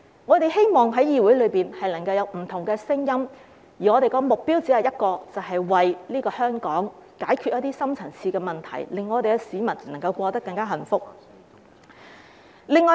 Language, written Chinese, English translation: Cantonese, 我們希望議會內能夠有不同的聲音，而我們的目標只有一個，便是為香港解決一些深層次問題，令市民能夠更加幸福。, We hope that there will be different voices in this Council but our only goal is to solve some deep - rooted problems for Hong Kong and make people happier